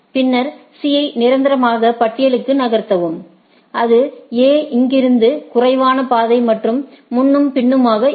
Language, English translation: Tamil, Then, if move C to the permanent list because, it is the least path from the A and so and so forth